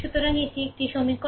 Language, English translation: Bengali, So, this is one equation